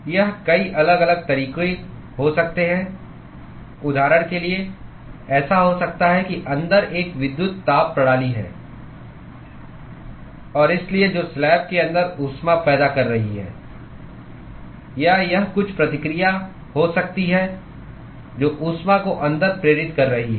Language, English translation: Hindi, It could be many different ways, for example, it could be like there is an electrical heating system inside and so, that is generating heat inside the slab, or it could be some reaction which is inducing heat inside